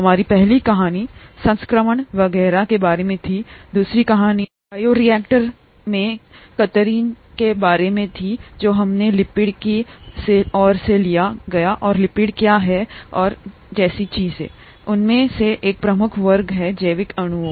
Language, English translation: Hindi, Our first story was about infection and so on, the second story was about sheer in bioreactors which led us to lipids and what lipids are and things like that, one major class of biomolecules